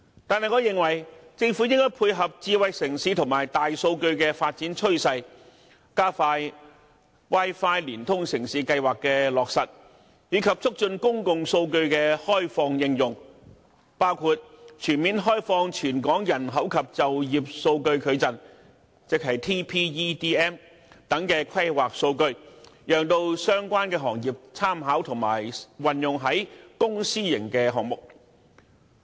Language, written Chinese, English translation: Cantonese, 但是，我認為政府應該配合智慧城市和大數據的發展趨勢，加快 "Wi-Fi 連通城市"計劃的落實，以及促進公共數據的開放應用，包括全面開放《全港人口及就業數據矩陣》等規劃數據，讓相關行業參考並運用於公、私營項目。, BPA welcomes and supports such measures . Nonetheless I think the Government should speed up the implementation of the Wi - Fi Connected City programme in line with the development trend of a smart city and big data . It should also promote the opening up and application of public data including fully opening up planning data such as the Territorial Population and Employment Data Matrix for reference by the industries concerned and application in public and private projects